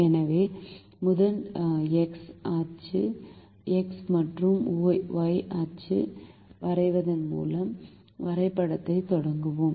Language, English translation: Tamil, so we first start the graph by drawing the x, the x and y axis